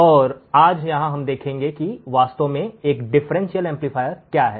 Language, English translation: Hindi, And here today we will see what exactly a differential amplifier is